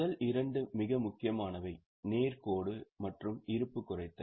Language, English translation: Tamil, The first two are very important, the straight line and reducing balance